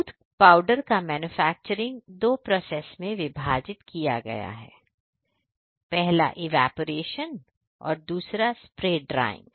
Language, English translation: Hindi, Manufacturing of milk powder is divided in two process; one is evaporation, second one is spray drying